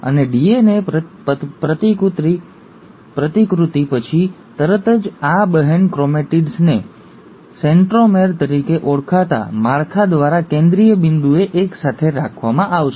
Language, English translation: Gujarati, And, these sister chromatids, right after DNA replication will be held together at a central point by a structure called as ‘centromere’